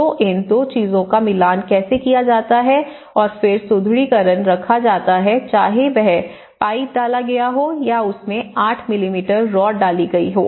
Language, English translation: Hindi, So, how these two things has to match and then the reinforcement is kept whether it is a pipe inserted or 8 mm rod has been inserted into it